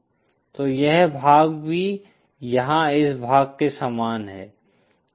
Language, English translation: Hindi, So this part here is same as this part here